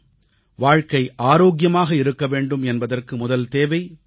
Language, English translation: Tamil, The first necessity for a healthy life is cleanliness